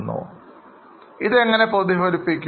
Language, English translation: Malayalam, Now how it will be reflected